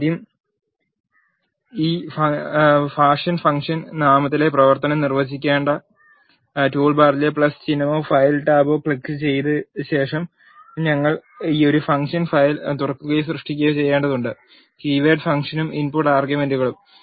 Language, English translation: Malayalam, First we need to open or create a function file by clicking a that the plus symbol or file tab in the toolbar you have to define the function in this fashion function name, keyword function and the input arguments